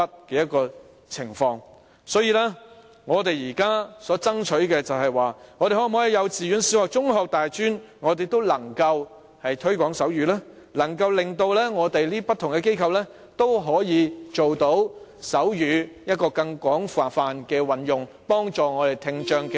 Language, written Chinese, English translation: Cantonese, 因此，我們現在所爭取的，就是可否在幼稚園、小學、中學、大專都能推廣手語，從而令不同機構也可以廣泛運用手語，幫助聽障學生以至成年人呢？, Therefore what we are fighting for now is that if sign language could be promoted in kindergartens primary and secondary schools colleges and universities could students with hearing impairment or even adults be benefited from that as different institutions are using sign language on a wider scale?